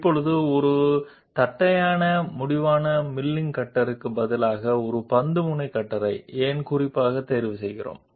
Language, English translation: Telugu, Now why do we choose specifically a ball ended cutter instead of a flat ended milling cutter